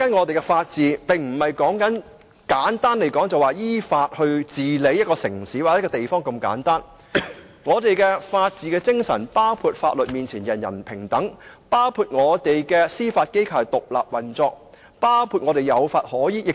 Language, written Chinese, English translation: Cantonese, 就以法治為例，香港的法治並非只是依法治理一個城市或地方般的簡單，我們的法治精神包含"法律面前，人人平等"、司法機構獨立運作，並且凡事有法可依。, Let me use the rule of law as an example . The rule of law as practised in Hong Kong is much more than a simple enforcement of legislative provisions to govern a city or a place . In its true and full spirit our rule of law is also about equality before the law judicial independence and supremacy of the law in all matters